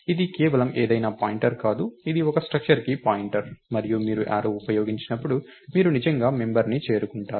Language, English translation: Telugu, Its not just any pointer, its a pointer to a structure and when you use arrow, you actually get to the member